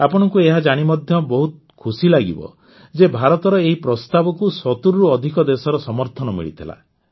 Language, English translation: Odia, You will also be very happy to know that this proposal of India had been accepted by more than 70 countries